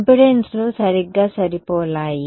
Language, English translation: Telugu, Impedances are matched right